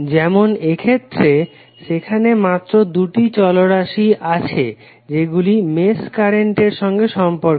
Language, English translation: Bengali, Like in this case if you see, there are only 2 variables related to mesh current